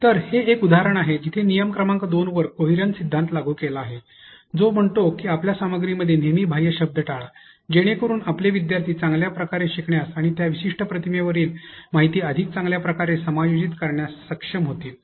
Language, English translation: Marathi, So, this is an example where the principle of coherence has been applied on rule number 2, which says that always avoid extraneous words into your content, so that your students can be able to learn better and adjust better the information that is put on that particular image